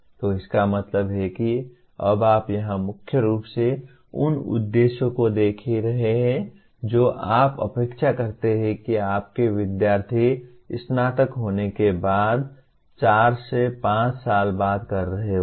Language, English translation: Hindi, So that means you are now looking at objectives here would mainly you are looking at what you expect your students to be doing broadly four to five years after graduation